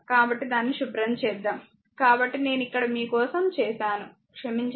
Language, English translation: Telugu, So, let me clean it , right so, that I have done it here for you ah, sorry right